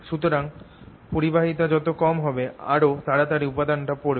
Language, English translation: Bengali, so a smaller the conductivity, faster it goes